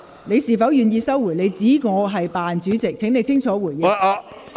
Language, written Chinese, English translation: Cantonese, 你是否願意收回你指我"扮主席"的言論，請你清楚回應。, Are you willing to withdraw your remark that referred to me as the phoney Chair? . Please make a clear response